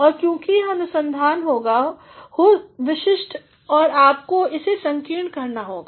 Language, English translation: Hindi, And, since it is going to be a research which is specific you have to narrow it down